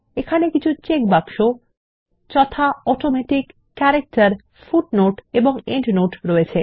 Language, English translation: Bengali, There are checkboxes namely ,Automatic, Character, Footnote and Endnote